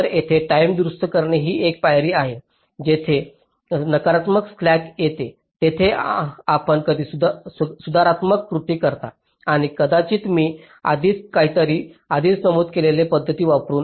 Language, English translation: Marathi, so here timing correction is one step where, wherever there is a negative slack, you make some corrective actions and maybe using the methods i have already mentioned, just sometime back and again you use static timing analysis